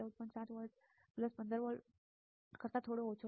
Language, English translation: Gujarati, 7 volts just a bit less than plus 15 volts